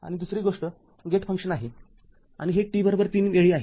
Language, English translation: Marathi, And another thing as a gate function and the gate function and this at t is equal to 3